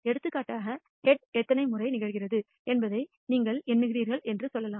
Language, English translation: Tamil, For example, let us say you are counting the number of times head occurs